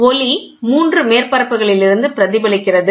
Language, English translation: Tamil, The light is reflected from 3 surfaces